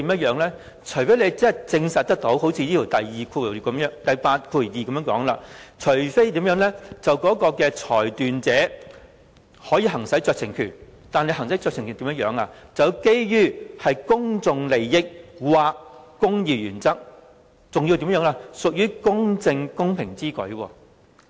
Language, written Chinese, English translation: Cantonese, 因為事情不可以呈堂，除非如第82條所說般，即裁斷者可以行使酌情權，但行使酌情權時，要基於公眾利益或公義原則，還要屬於公正公平之舉。, It is because the evidence concerned is no longer admissible unless the scenario stipulated under clause 82 applies that is the decision maker exercises a discretion . However the discretion can only be exercised on the basis of public interest or the interests of the administration of justice and that doing so is just and equitable